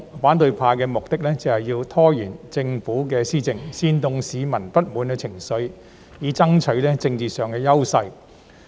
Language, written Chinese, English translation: Cantonese, 反對派目的是想拖延政府施政，煽動市民的不滿情緒，以爭取政治上的優勢。, The opposition camp was aimed at gaining political advantage by means of stalling the Governments policy implementation efforts and inciting public discontent